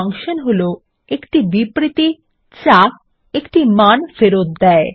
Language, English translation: Bengali, Functions are statements that return a single value